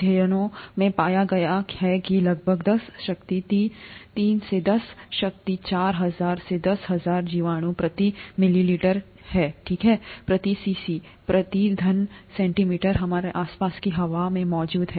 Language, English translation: Hindi, Studies have found that about ten power three to ten power four thousand to ten thousand bacterium per milliliter, okay, per cc, per cubic centimeter, are present in the air around us